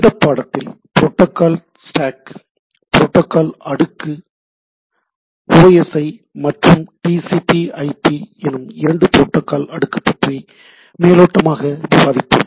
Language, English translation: Tamil, So, today will be discussing on in this lecture Protocol Stack or a overview of the protocol stack OSI and TCP/IP; this two protocol stack